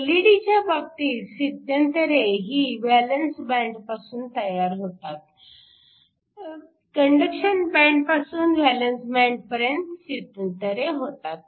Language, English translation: Marathi, In the case of an LED, transitions occur from the valence band, from the conduction band to the valence band